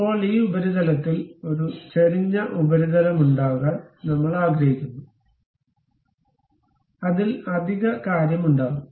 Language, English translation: Malayalam, Now, on this surface, we would like to have a inclined surface on which there will be additional thing